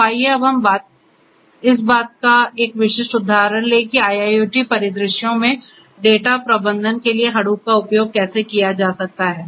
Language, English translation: Hindi, So, let us now take a specific example of how Hadoop a popular technology could be used for data management in IIoT scenarios